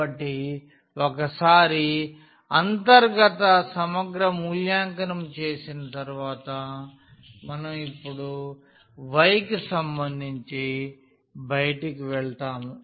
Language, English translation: Telugu, So, then once having done the evaluation of the inner integral we will go to the outer one now with respect to y